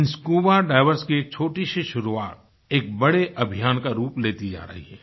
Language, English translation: Hindi, This small beginning by the divers is being transformed into a big mission